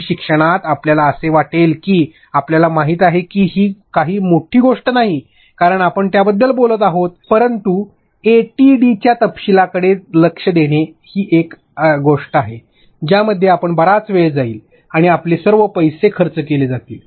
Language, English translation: Marathi, This in e learning you may feel that you know it is not such a big deal why are we even talking about it, but attention to detail ATD issues are something in which you will be caught big time and all your money is getting spent on this